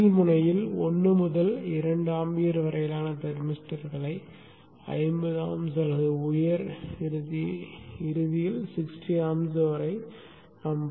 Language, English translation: Tamil, You can find thermisters ranging from 1 to 2 amp, the lower end up to 50 amps or 60 amps at the higher end